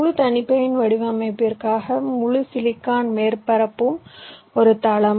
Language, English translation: Tamil, for full custom design, your entire silicon surface is a floor